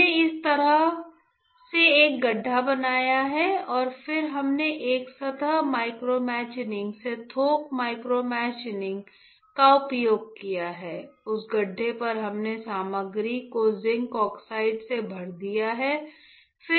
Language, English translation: Hindi, That we have we have created a pit like this all right and then we have used a surface micromachining to bulk micromachining to create a pit, on that pit we have filled the material with zinc oxide